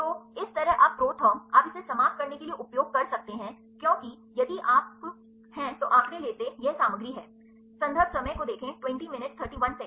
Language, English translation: Hindi, So, likewise you can the ProTherm you can use to end it up because, it contents if you take the statistics